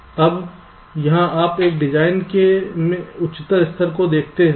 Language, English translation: Hindi, ok, now here you look at a even higher level of a design